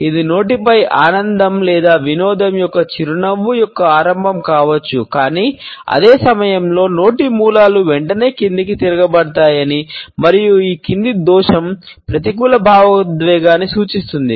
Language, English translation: Telugu, It may be the beginning of a smile of pleasure or amusement on mouth, but at the same time we find that corners of the mouth are turned downwards almost immediately and this downward incrimination indicates a negative emotion